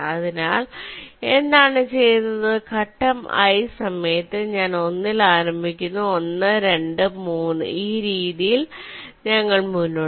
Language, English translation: Malayalam, so what is done is that during step i, i starts with one, one, two, three